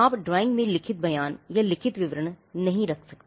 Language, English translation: Hindi, You cannot have written statements or written descriptions in the drawing